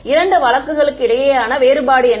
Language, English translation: Tamil, What is the difference between these two cases